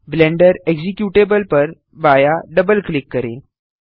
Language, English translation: Hindi, Left double click the Blender executable